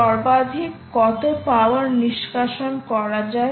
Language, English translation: Bengali, ok, what is the maximum power to extract from